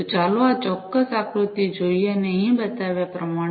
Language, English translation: Gujarati, So, let us look at this particular figure and as shown over here